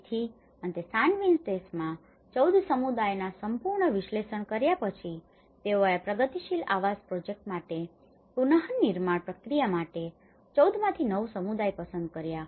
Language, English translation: Gujarati, So finally, after having a thorough analysis of the 14 communities in San Vicente they have selected 9 communities within that 14, for the reconstruction process